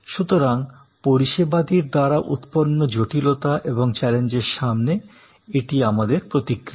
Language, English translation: Bengali, So, this is in a way our response mechanisms to the complexities and challenges post by services